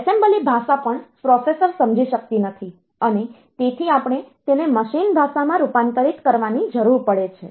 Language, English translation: Gujarati, So, see assembly language is also not understandable by the processor; so for assembly language program so, we need to convert it into machine language